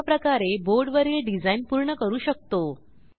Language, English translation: Marathi, In this way you can complete the design of the board